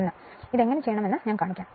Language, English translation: Malayalam, 1, I will show you how you can do it right